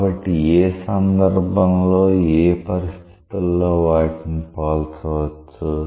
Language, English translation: Telugu, So, when under what case, under what circumstances they are comparable